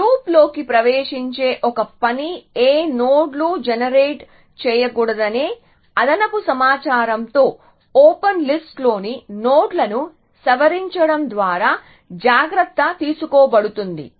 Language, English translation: Telugu, So, one task of getting into loops is taken care of by modifying the nodes in open list by them with extra information as to which nodes should not be generated